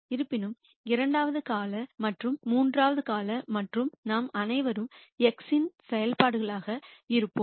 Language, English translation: Tamil, However, the second term and third term and so on we will all be functions of x